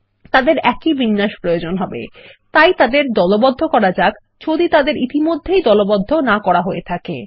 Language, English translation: Bengali, As they require the same formatting, lets group them ,If they are not already grouped